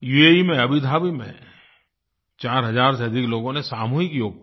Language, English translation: Hindi, In Abu Dhabi in UAE, more than 4000 persons participated in mass yoga